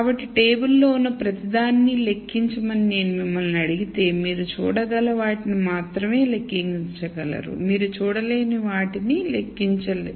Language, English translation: Telugu, So, if I ask you to enumerate everything that is there on the table you can only enumerate what you can see the things that you cannot see you cannot enumerate